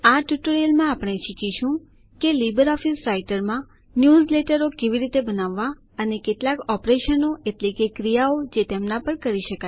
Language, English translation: Gujarati, In this tutorial we will learn how to create newsletters in LibreOffice Writer and a few operations that can be performed on them